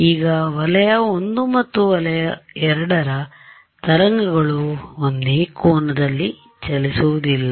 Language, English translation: Kannada, Now, region I and region II will the waves be travelling at the same angle